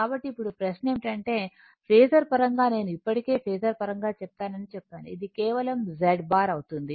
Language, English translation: Telugu, So now, question is in terms of phasor now I told you I have already told you in terms of phasor, it will be just Z bar you may this thing right complex quantity